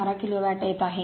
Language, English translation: Marathi, 712 kilo watt